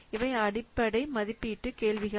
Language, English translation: Tamil, These are the fundamental estimation questions